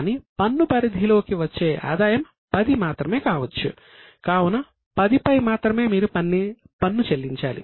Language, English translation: Telugu, That means you will pay tax only on the income of 10